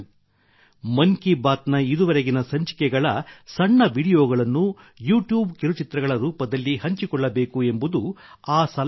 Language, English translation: Kannada, The suggestion is to share short videos in the form of YouTube Shorts from earlier episodes of 'Mann Ki Baat' so far